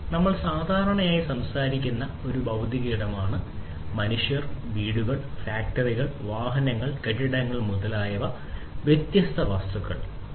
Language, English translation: Malayalam, So, a physical space we are typically talking about you know different real objects like human beings, like houses, factories you know automobiles, buildings and so on